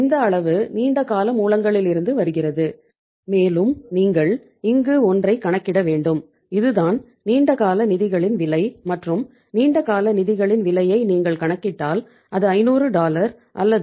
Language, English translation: Tamil, This much is coming from the long term sources plus you have to calculate here something that is the this is the cost of the long term funds and if you calculate the cost of long term funds it is how much that is dollar 500 or Rs 500 we say that uh Rs 552